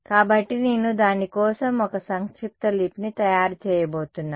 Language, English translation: Telugu, So, I am going to make a shorthand notation for it